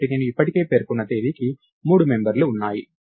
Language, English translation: Telugu, So, date I already mentioned has three members